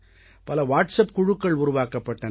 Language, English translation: Tamil, Many WhatsApp groups were formed